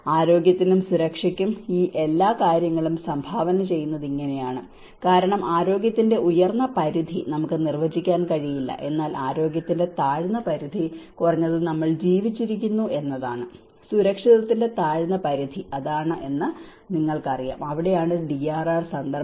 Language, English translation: Malayalam, This is how these all set of things contribute that health and safety itself because the upper limit of health we cannot define, but the lower limit of health is at least we are alive, you know that is lower limit of being safe, that is where the DRR context